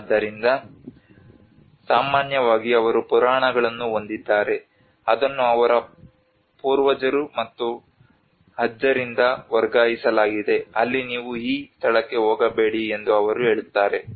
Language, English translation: Kannada, So normally they have a myths which has been transferred from their forefathers and grandfathers where they say that you don not go to this place